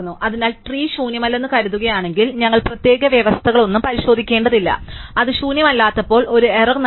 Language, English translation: Malayalam, So, assuming the trees not empty we do not have to check any special condition and given a error when it is not empty, when it is empty